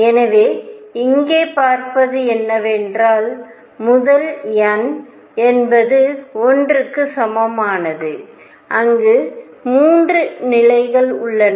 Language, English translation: Tamil, So, what one is seeing here is that in the first n equals 1 there are 3 levels